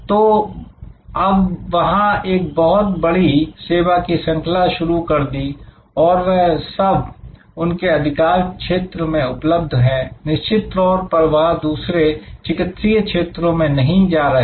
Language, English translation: Hindi, So, there is now a wide range of services that are available from them in that domain, of course they are not getting into other medical areas